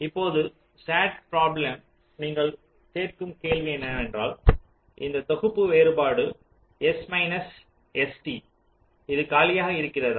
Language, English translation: Tamil, now the sat problem, the question you ask, is that whether this set difference, s minus s capital t, is it empty